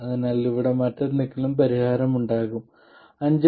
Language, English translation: Malayalam, So there will be some solution here, something else for 5